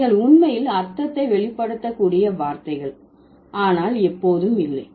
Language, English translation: Tamil, But there are certain words from where you can actually reveal the meaning but not always